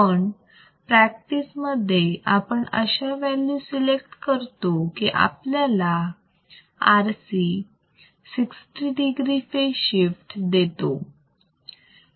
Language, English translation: Marathi, But the values are provided such that one RC provides a phase shift of 60 degrees